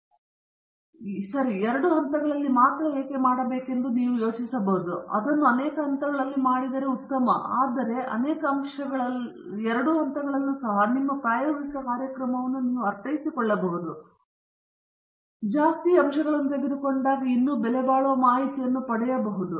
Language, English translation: Kannada, You may think okay why should I do only at two levels, it looks better if I do it at multiple levels; you are right, but even with the two levels of many factors, you can economize your experimental program and still get valuable information